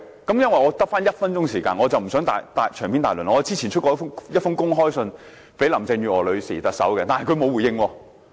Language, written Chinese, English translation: Cantonese, 因為我只餘下1分鐘時間，我不想長篇大論，我之前發出一封公開信給特首林鄭月娥，但她沒有回應。, As I have only one minute left I will not speak too much on this area . Earlier on I have issued an open letter to Chief Executive Carrie LAM but she did not respond to it